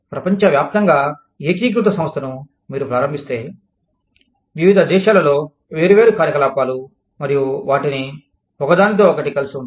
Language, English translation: Telugu, The globally integrated enterprises, that you start, different operations in different countries, and tie them in, with each other